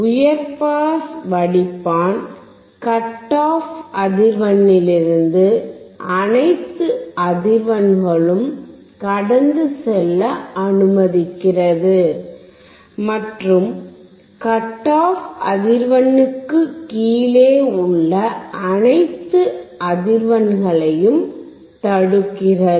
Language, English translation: Tamil, A high pass filter passes all frequencies from the cut off frequency, and blocks all the frequencies below the cut off frequency